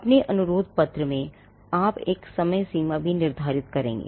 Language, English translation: Hindi, Now you would in your request letter, you would also stipulate a deadline